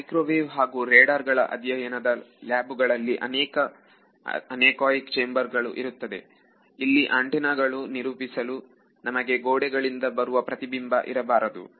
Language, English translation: Kannada, All microwave and radar studies if you go to their labs they have these anechoic chambers where they if you want to characterize a antenna you do not want some spurious reflection from the wall